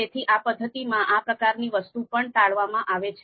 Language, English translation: Gujarati, So that kind of thing is also avoided in this particular method